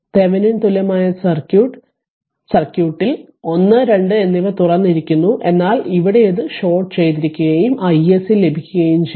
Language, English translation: Malayalam, So, what you do in Thevenin thevenin equivalent circuit 1 and 2 are open, but here it is shorted and we got i SC